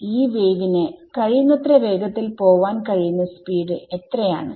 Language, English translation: Malayalam, What is the speed at which this wave can go as fast as possible c right